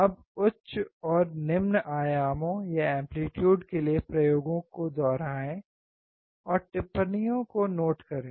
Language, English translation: Hindi, Now repeat the experiments for higher and lower amplitudes, and note down the observations